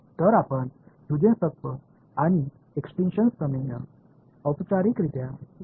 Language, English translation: Marathi, So, let us formally the Huygens principle and extinction theorem